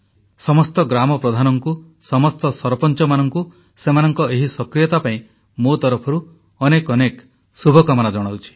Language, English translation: Odia, For my part I wish good luck to all the village heads and all the sarpanchs for their dynamism